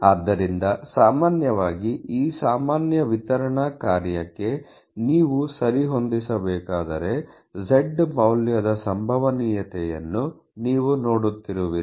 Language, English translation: Kannada, So, typically the idea is that when you have a fit to this normal distribution function and you are looking at the probability of a value z